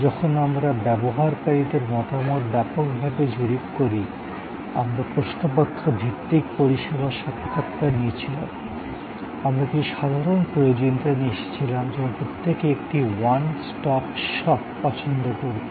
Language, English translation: Bengali, When we extensively surveyed opinion of users, we had questionnaire based service, interviews, we came up that with some general requirements like everybody would prefer to have a one stop shop